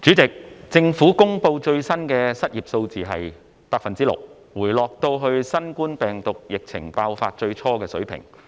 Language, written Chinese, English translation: Cantonese, 主席，政府公布最新的失業數字是 6%， 回落到新冠病毒疫情爆發最初時的水平。, President the latest unemployment rate released by the Government is 6 % returning to the level at the beginning of the COVID - 19 epidemic outbreak